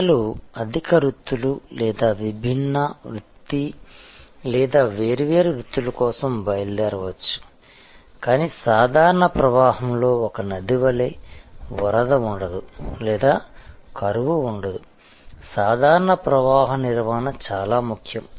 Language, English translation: Telugu, People may leave for higher pursuits or different pursuit or different careers, but just like a river in a normal flow will neither have flood nor will have drought, that normal flow maintenance is very important